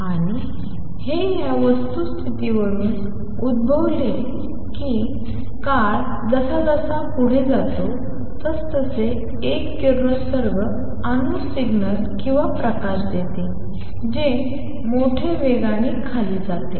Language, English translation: Marathi, And this arose from the fact that as time progresses a radiating atom would give out signals or light which goes down in amplitude exponentially